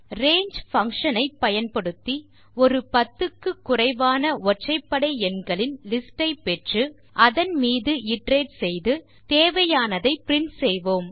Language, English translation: Tamil, So, we use the range function to get a list of odd numbers below 10, and then iterate over it and print the required stuff